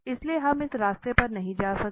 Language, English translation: Hindi, So, we will go with this